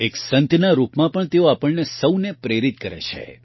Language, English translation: Gujarati, Even as a saint, she inspires us all